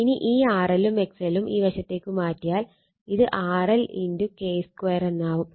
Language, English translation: Malayalam, And when you transform this R L and X L to this side it will be thenyour R L into your K square